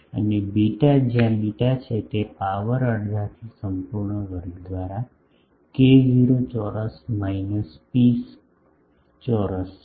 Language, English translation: Gujarati, And, beta where is beta is k 0 square minus pi square by a dash square whole to the power half